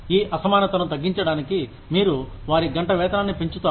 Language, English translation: Telugu, To reduce this disparity, you increase their hourly wage